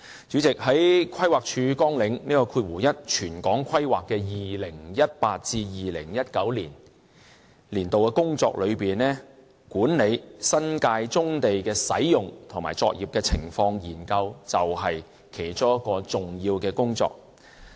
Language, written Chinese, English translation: Cantonese, 主席，在規劃署綱領1全港規劃的 2018-2019 年度工作之中，管理新界棕地使用及作業現況研究是其中一項重要工作。, Chairman under Programme 1 Territorial Planning one of the major duties during 2018 - 2019 is to manage the Study on Existing Profile and Operations of Brownfield Sites in the New Territories the Study